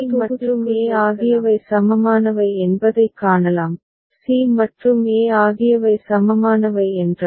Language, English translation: Tamil, Then here, we can see that c and e are equivalent, if c and e are equivalent right